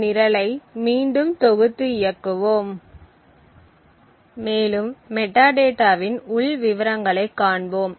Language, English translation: Tamil, So, let us compile and run this program again and we see the internal details of the metadata